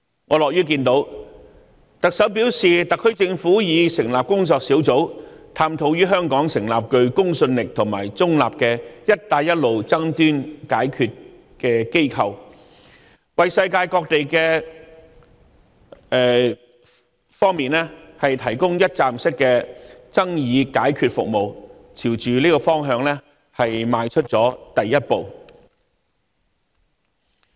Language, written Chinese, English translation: Cantonese, 我樂見特首表示特區政府已成立工作小組，探討於香港成立具公信力和中立的"一帶一路"爭端解決機構，為世界各地提供一站式的爭議解決服務，朝着這個方向邁出了第一步。, I am glad to hear the Chief Executive say that the SAR Government has set up a task force to explore the establishment of a credible and neutral Belt and Road dispute resolution organization in Hong Kong to provide parties from all over the world with one - stop dispute resolution services signifying the first step made in this direction